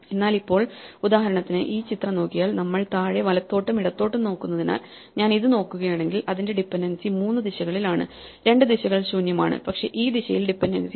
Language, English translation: Malayalam, But now, for instance if we look at this picture, since we are looking bottom right and left, if I look at this its dependencies are in three directions; two of the directions are empty, but this direction there is dependence